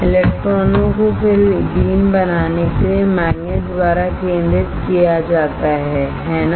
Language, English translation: Hindi, The electrons are then focused by magnets to form a beam, right